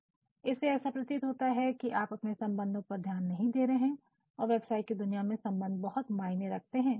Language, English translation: Hindi, It appears as if you are not giving any attention to the relationship and the business world relationship is what matters most